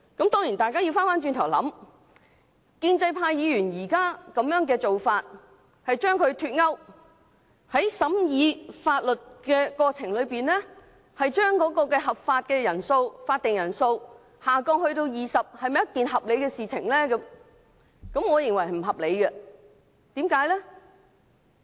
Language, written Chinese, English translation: Cantonese, 當然大家要回想，建制派議員現在的做法，將兩者脫鈎，在審議立法建議的過程中，將全體委員會法定的人數減低至20人，是否合理？, Certainly Members should consider the justifiability of the present proposal put forth by pro - establishment Members to remove the link between the two and reduce the quorum for the committee of the whole Council to 20 Members in the course of scrutinizing legislative proposals